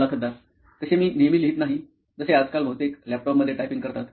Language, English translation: Marathi, So I write not that often, like nowadays mostly typing in the laptop